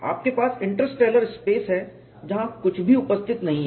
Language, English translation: Hindi, You have interstellar spaces where nothing is present